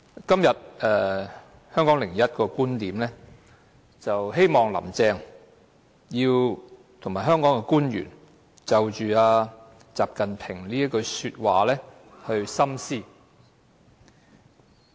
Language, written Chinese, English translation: Cantonese, 今天《香港01》的"十九大.觀點"提到，希望"林鄭"及香港官員深思習近平這句話。, Today in the article 19 NPC‧Viewpoint in HK01 Carrie LAM and other Hong Kong officials are asked to give serious thoughts to those words of XI Jinping